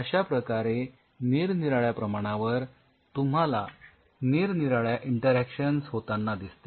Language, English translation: Marathi, So, with different dosage you can see different kind of interactions which are happening